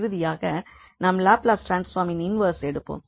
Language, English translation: Tamil, So, that will be the product of the Laplace transform